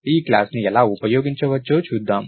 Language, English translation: Telugu, So, lets see how this class can be used